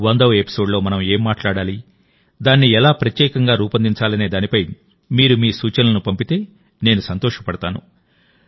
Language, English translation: Telugu, I would like it if you send me your suggestions for what we should talk about in the 100th episode and how to make it special